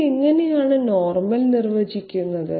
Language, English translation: Malayalam, How this is normal defined